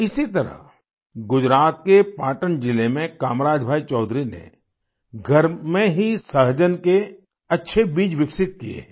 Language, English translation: Hindi, In the same way Kamraj Bhai Choudhary from Patan district in Gujarat has developed good seeds of drum stick at home itself